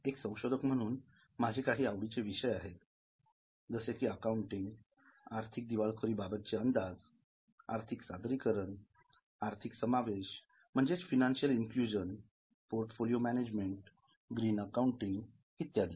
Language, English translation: Marathi, I also have various research interests including in accounting, bankruptcy prediction, financial disclosures, financial inclusion, portfolio management, green accounting and so on